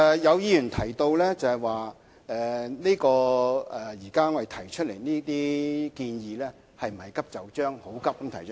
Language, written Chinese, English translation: Cantonese, 有議員提到，現時我們提出建議，是否過於急就章？, Certain Members have queried if the Government has been too hasty in making this proposal?